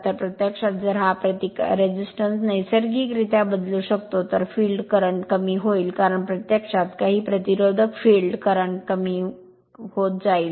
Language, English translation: Marathi, So, if you if you can vary this resistance naturally, the field current will decrease right because, you are adding some resistance field current will decrease